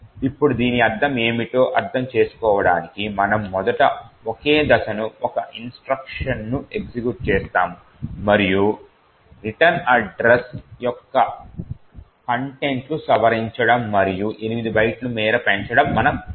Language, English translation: Telugu, Now to understand what this means we would first single step execute a single instruction and see that the contents of the return address has been modified and incremented by 8 bytes